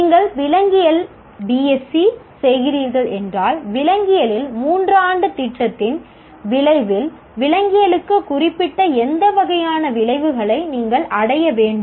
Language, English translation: Tamil, If you are doing BSE in zoology, at the end of three year program in zoology, what kind of outcomes you should attain which are specific to zoology